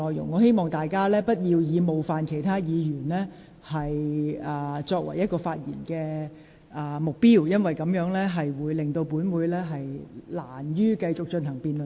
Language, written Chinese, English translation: Cantonese, 我希望議員不要以冒犯其他議員作為發言的目標，否則本會難以繼續進行辯論。, I hope Members will not speak for the purpose of offending other Members otherwise it would be difficult for the debate to continue